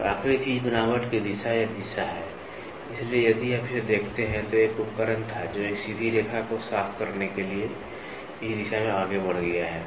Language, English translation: Hindi, And the last thing lay or direction of texture, so if you look at it there was a tool, which has moved in this direction to clear a straight line